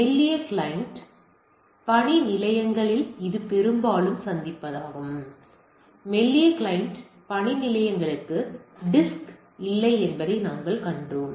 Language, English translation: Tamil, This is of an encounter on thin client workstation, as we have seen thin client workstations no disk